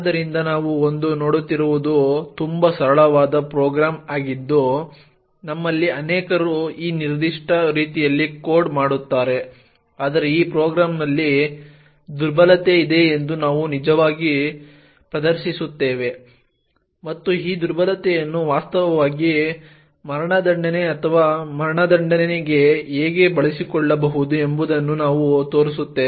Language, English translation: Kannada, So what we will be seeing today is a very simple program which many of us actually code in this particular way but we will actually demonstrate that there is a vulnerability in this program and we will show how this vulnerability can be used to actually subvert execution or make the program behave in a very abnormal way